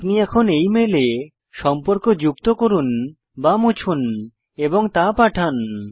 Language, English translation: Bengali, You can now modify the content in this mail, add or delete contacts and send it